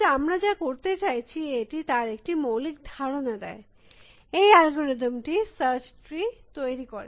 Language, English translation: Bengali, But, it gives as a basic idea for what we are trying to do, what this algorithm does it generate the search tree